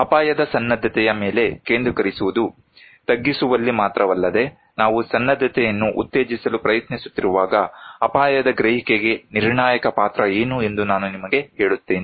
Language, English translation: Kannada, Also to focus on risk preparedness, not only in mitigation and also I will tell you what is the critical role of risk perception when we are trying to promote preparedness